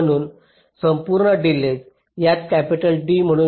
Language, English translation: Marathi, so the total delay, lets call it capital d